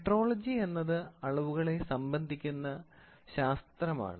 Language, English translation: Malayalam, Metrology is a measurement of science